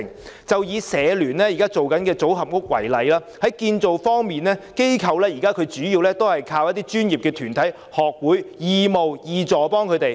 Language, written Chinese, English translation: Cantonese, 以香港社會服務聯會現時正進行的組合屋為例，在建造方面，機構現時主要靠一些專業團體、學會義務提供協助。, For example the Hong Kong Council of Social Service HKCSS is now undertaking the Modular Social Housing Scheme . For the construction projects HKCSS is now relying on the assistance of some professional organizations and academic associations